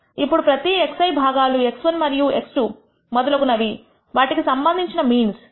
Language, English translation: Telugu, Now each of these x I components x 1, x 2 and so on have their respective means